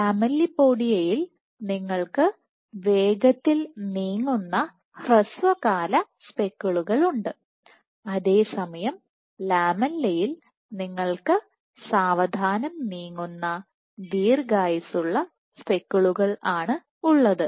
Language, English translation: Malayalam, So, in lamellipodia you have speckles fast moving, fast moving short living speckles while in lamella you had slow moving long living spectacles this was one difference